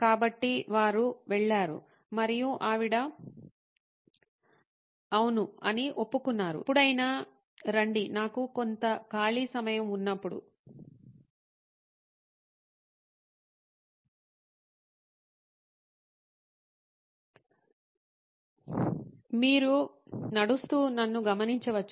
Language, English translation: Telugu, So, they went and the lady said yes of course, come on anytime I have some free time you can walk in and observe me